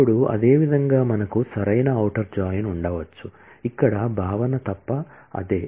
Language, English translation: Telugu, Now, similarly we can have a right outer join, where the concept is the same except that